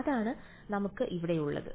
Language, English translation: Malayalam, So, that is what we have over here